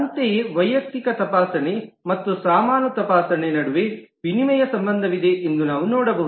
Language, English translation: Kannada, Similarly, we can see that between the individual checking and the baggage checking there is a exchange relationship